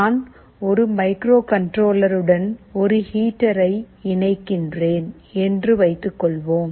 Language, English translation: Tamil, Let me tell you here suppose I am interfacing a heater with a microcontroller